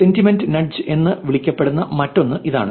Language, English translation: Malayalam, Here is next one which is sentiment nudge